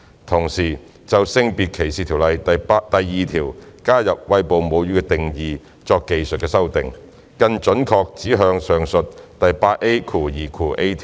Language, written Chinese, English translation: Cantonese, 同時，就《性別歧視條例》第2條加入"餵哺母乳"的定義作技術性修訂，更準確指向上述第 8A2a 條。, Meanwhile technical amendments are made for the addition of the definition of breastfeeding to section 2 of SDO so as to anchor more accurately to the aforesaid section 8A2a